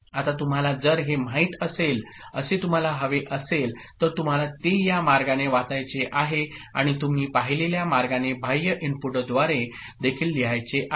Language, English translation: Marathi, Now, if you want that you know, you want to read it this way and also want to write through external inputs the way you have seen